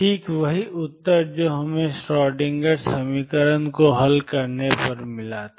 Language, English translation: Hindi, Precisely the same answer as we got by solving Schrödinger equation